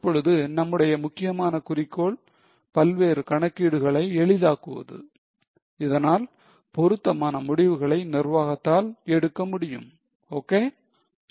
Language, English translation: Tamil, Now our main purpose is to make various calculations easy so that management can take appropriate decision